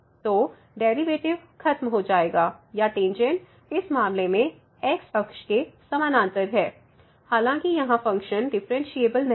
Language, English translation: Hindi, So, the derivative vanishes or the tangent is parallel to the x axis in this case though the function was not differentiable here